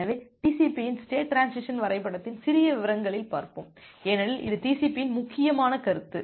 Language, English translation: Tamil, So, let us look into the state transition diagram of TCP in little details because, that is the important concept for TCP